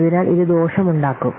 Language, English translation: Malayalam, So this will be disadvantage